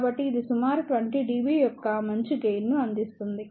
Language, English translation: Telugu, So, it provides a a decent gain of around 20 dB